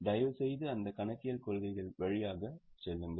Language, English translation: Tamil, Please go through those accounting policies